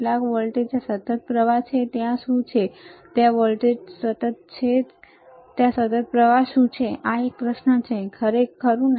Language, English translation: Gujarati, Some voltage is there constant current is there what is there constant voltage is there constant current is there is a question, right